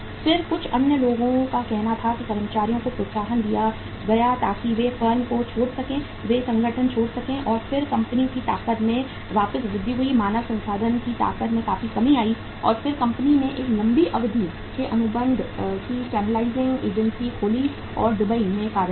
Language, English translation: Hindi, Then uh some other say incentives were given the employees so that they can leave the firm, they can leave the organization and then the strength of the company was significantly, human resource strength was significantly brought down and then company opened a long term contract channelizing agency or office in Dubai